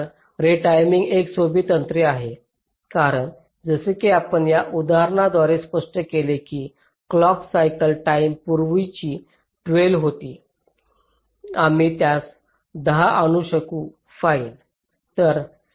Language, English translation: Marathi, so v timing is a simple technique, as we have illustrated through this example, where the clock cycle time, which was earlier twelve, we have been able to bring it down to ten